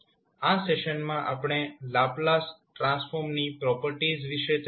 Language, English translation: Gujarati, In this session discussed about a various properties of the Laplace transform